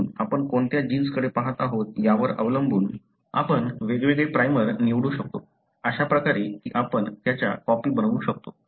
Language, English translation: Marathi, So, depending on which gene you are looking at, you can choose different primers, such that you can make copies of that